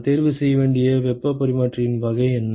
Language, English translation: Tamil, And what is the type of the heat exchanger that I should choose